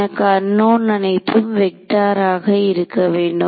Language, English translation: Tamil, So, I wanted my unknowns to be vectors